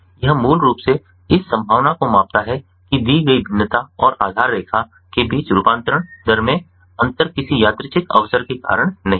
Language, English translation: Hindi, it basically measures the likelihood that the difference in conversion rates between given variation and the baseline is not due to any random chance